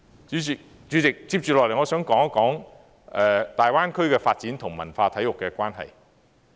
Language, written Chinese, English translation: Cantonese, 主席，接下來我想討論大灣區的發展與文化體育的關係。, President up next I would like to discuss the relationship between the Greater Bay Area development and culture and sports